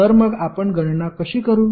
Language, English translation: Marathi, So, how we will calculate